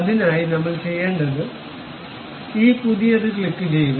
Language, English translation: Malayalam, For that purpose, what we have to do, click this new